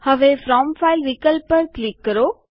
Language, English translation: Gujarati, Now click on From File option